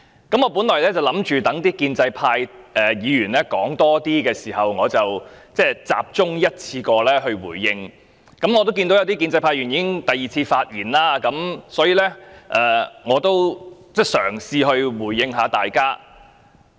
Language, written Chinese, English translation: Cantonese, 我原本想待更多建制派議員發言後，才集中一次過回應，但我看到有部分建制派議員已經第二次發言，所以我想嘗試回應大家。, My original idea was to make a one - off response after more pro - establishment Members have spoken . But since some pro - establishment Members have already spoken for the second time I would try to respond to them